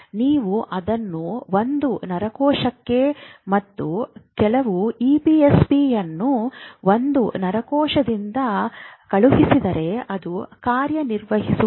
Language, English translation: Kannada, These currents individually if you send to one neuron and some EPSP by one neuron it will not happen